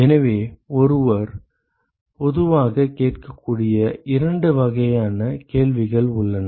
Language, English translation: Tamil, So, there are two kinds of questions one could typically ask ok